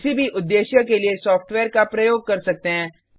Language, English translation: Hindi, Use the software for any purpose